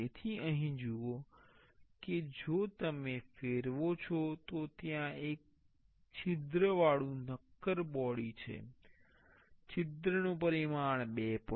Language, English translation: Gujarati, So, here see if you rotate there is a solid body with a hole, the hole dimension is 2